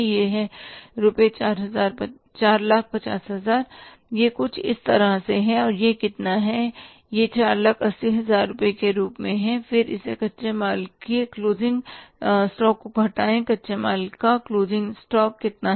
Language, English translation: Hindi, This is something like this and how much it is this works out as 480,000 then it is less closing stock of raw material